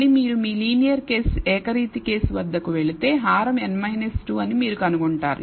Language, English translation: Telugu, Again if you go back to your linear case univariate case you will find that the denominator is n minus 2